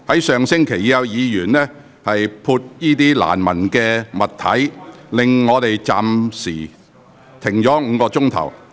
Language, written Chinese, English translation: Cantonese, 上星期已有議員在會議廳潑灑難聞的物體，令會議被迫暫停超過5小時。, Last week the meeting had to be suspended for more than five hours as a Member threw a foul - smelling object in the Chamber